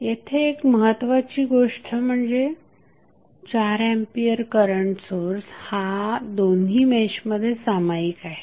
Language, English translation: Marathi, Now, here the important thing is that the source which is 4 ampere current is common to both of the meshes